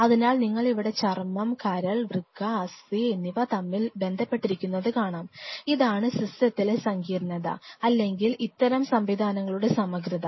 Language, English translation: Malayalam, So, what you see here is there is a cross talk happening between skin, liver, kidney, bone that is the complexity or that is the integrity of such systems are